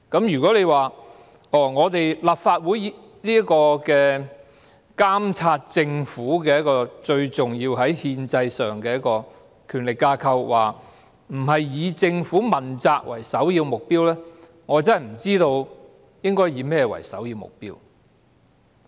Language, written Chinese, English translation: Cantonese, 如果立法會——在憲制上是最重要的監察政府的權力架構——不是以政府問責為首要目標，我真的不知道應以甚麼為首要目標。, It beats me to imagine what other overriding objective should the Legislative Council as the most important institution of power to monitor the Government at the constitutional level pursue other than that of holding the Government accountable